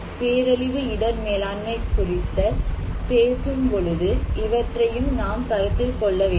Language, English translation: Tamil, Why, so that is important when we are talking about disaster risk management